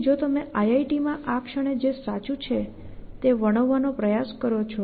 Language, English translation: Gujarati, Then if you what simply try to describe what is true at this moment in IIT